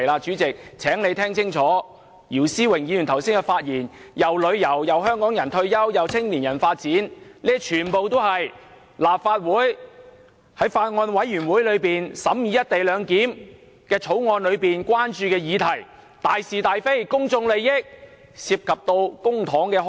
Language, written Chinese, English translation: Cantonese, 主席，請你聽清楚，姚思榮議員剛才的發言既提及旅遊，也有提到香港人的退休問題和青年人的發展，全部都是法案委員會審議《條例草案》時所關注的議題，大是大非，公眾利益，亦涉及公帑。, Therefore mentioning the co - location arrangement in the speech does not mean digression from the subject . President please listen carefully just now when Mr YIU Si - wing spoke he touched on tourism retirement of Hong Kong people and development of young people all of which are issues that the Bills Committee are concerned about during the deliberation of the Bill . These are cardinal issues of right and wrong and of public interest and they also involve public money